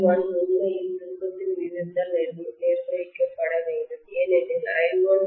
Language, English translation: Tamil, I1 should be actually governed by the turn’s ratio because I1 by I2 will be equal to N2 by N1